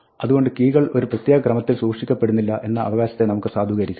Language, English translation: Malayalam, So, let us validate the claim that keys are not kept in any particular order